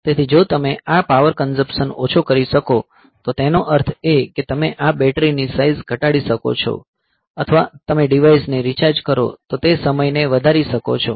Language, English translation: Gujarati, So, if you can have this power consumption low; that means, you can have this battery size reduced or you can increase the time after which you recharge the device